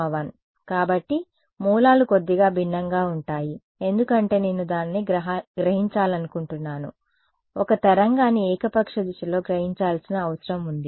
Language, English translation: Telugu, S x s y 1 right; so, the corners are slightly different because I want to absorb it in I mean it is a wave that needs to be absorbed in arbitrary direction